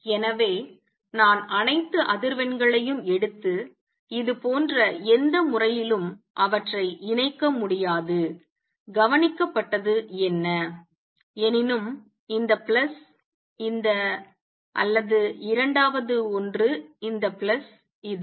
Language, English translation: Tamil, So, I cannot take all the frequency and combine them in any manner like, what is observed; however, is this plus this or second one this plus this